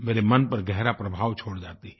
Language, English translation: Hindi, They leave a deep impression on my heart